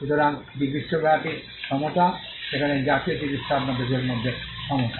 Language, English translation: Bengali, So, this is equality at the global level, whereas national treatment is equality within your country